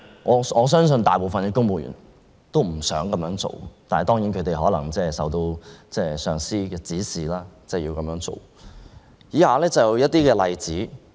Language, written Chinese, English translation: Cantonese, 我相信大部分公務員都不想這樣做，但他們可能受到上司的指使而要這樣做。, I believe these are against the wish of most civil servants but they are probably instructed by their superiors to do so